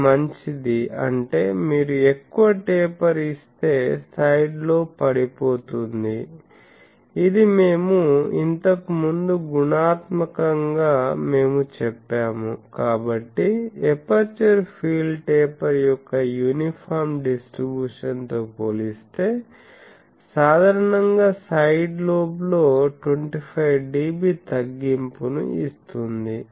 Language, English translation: Telugu, So, that is good; that means, if you give more taper the side lobe falls down which qualitatively we said earlier; so, compared to uniform distribution of the aperture field taper gives 25 dB reduction in side lobe typically